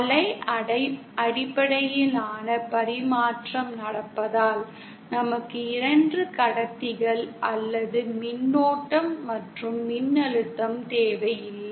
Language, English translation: Tamil, And since wave based transmission is happening, we need not have 2 conductors or current and voltage present